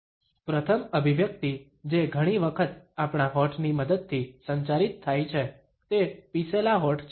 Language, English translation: Gujarati, The first expression which is often communicated with the help of our lips is that of Pursed Lips